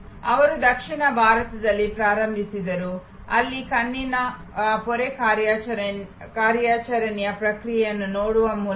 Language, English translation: Kannada, He started in South India, where by looking at the process of cataract operation